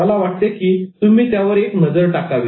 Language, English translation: Marathi, I would suggest that you take a quick look